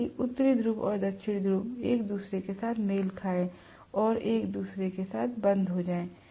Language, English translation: Hindi, So that north and south match with each other and lock up with each other